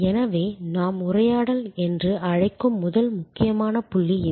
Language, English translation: Tamil, So, that is the first important point what we call dialogue